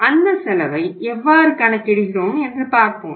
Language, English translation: Tamil, So let us see how we work that cost